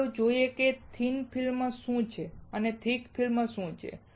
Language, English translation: Gujarati, So, let us see what is thin film and what is a thick film